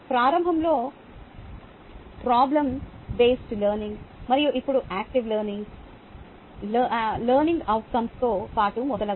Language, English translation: Telugu, ok, initially problem based learning and then now active learning, along with learning outcomes and so on, so forth